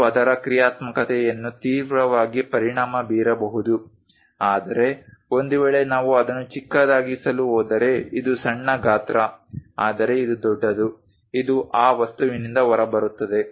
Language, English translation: Kannada, It may severely affect the functionality of that, but in case if we are going to make it a smaller one this this is small size, but this one large it just comes out of that object